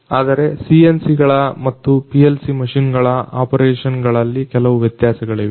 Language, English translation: Kannada, But there are certain differences between the operations of the CNCs and the PLC machines